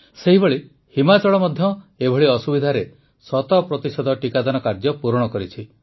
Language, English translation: Odia, Similarly, Himachal too has completed the task of centpercent doses amid such difficulties